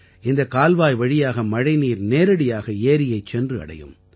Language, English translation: Tamil, Through this canal, rainwater started flowing directly into the lake